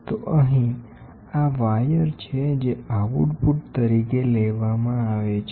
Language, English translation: Gujarati, So here, these are the wires which are taken as output